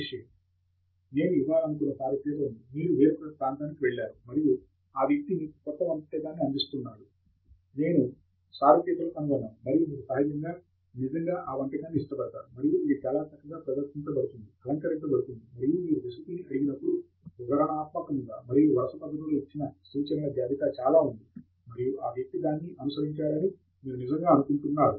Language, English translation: Telugu, Having the analogy that I wanted to give is, when you go to some one’s place, and you know, that person is presenting you with a new dish, I am found of analogies, and you really like that dish and it is been presented very nicely, ornated, and when you ask for the recipe, there is a list of instructions given in a very detailed and a sequential manner, and you think really that the person followed that